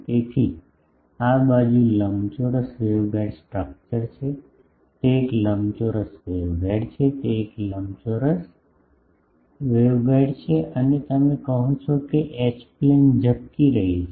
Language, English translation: Gujarati, So, this side is the rectangular waveguide structure, it is a rectangular waveguide, it is a rectangular waveguide and this you are saying that H plane is getting flared